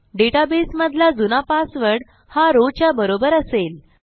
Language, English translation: Marathi, Our old password inside the database will be equal to our row